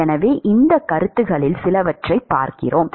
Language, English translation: Tamil, And so, we look at some of these concepts